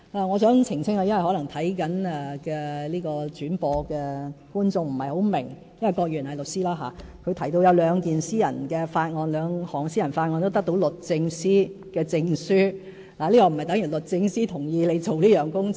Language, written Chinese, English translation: Cantonese, 我想澄清一點，因為正在收看轉播的觀眾可能不太明白，郭議員是律師，他提到有兩項私人法案得到律政司的證書，但這並不等於律政司同意他進行有關工作。, There is one point I would like to clarify because it may not be fully comprehensible to viewers who are watching the live broadcast of the meeting now . Mr KWOK is a lawyer and he said that he has already obtained certificates from the Department of Justice for his two Members bills . But I must say this does not mean that the Department of Justice has given consent to his introduction of the bills